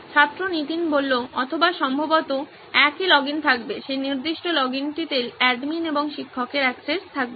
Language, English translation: Bengali, Or probably the same login would have, that particular login would have admin plus teacher access